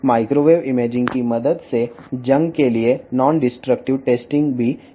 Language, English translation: Telugu, With the help of microwave imaging the non destructive testing for the corrosion can also be done